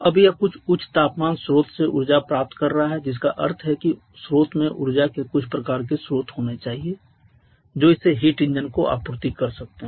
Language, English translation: Hindi, Now it is receiving energy from some high temperature source that means the source itself must have some kind of source of energy which it can supply to the heat engine